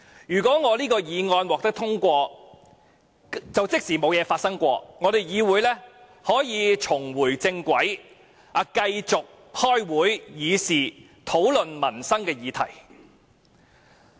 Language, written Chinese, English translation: Cantonese, 如果我的議案獲得通過，即沒有事情發生，議會可以重回正軌，繼續開會議事，討論民生議題。, If my motion is passed it means nothing has ever happened and this Council will get back onto the right track to continue with the proceedings to discuss livelihood subjects